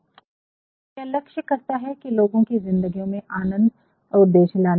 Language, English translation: Hindi, So, it aims at bringing pleasure and the purpose to the lives of our readers